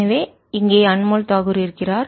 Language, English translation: Tamil, so here is anmol takur